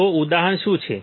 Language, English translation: Gujarati, So, what is the example